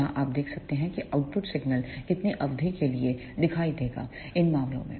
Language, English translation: Hindi, Here you can see for this much of duration the output signal will appear in these cases